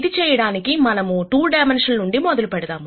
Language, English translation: Telugu, To do this, let us start with 2 dimensions